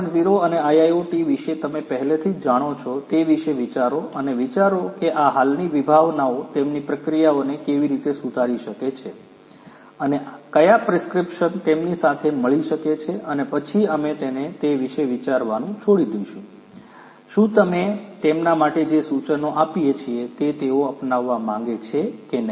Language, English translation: Gujarati, 0 and IIoT and think whether and how these existing concepts can improve their processes, and what prescription could to be meet to them and then we leave it to them to think about whether they would like to adopt whatever suggestions that we give for them